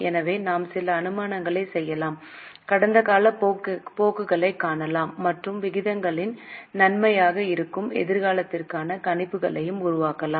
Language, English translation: Tamil, So, we can make certain assumptions, look for the past trends and make the projections for the future, that's an advantage of the ratios